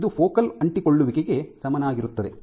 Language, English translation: Kannada, So, this is the equivalent of focal adhesions ok